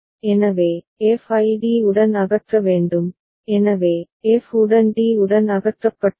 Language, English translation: Tamil, So, f has to be removed with d, so, f has been removed with d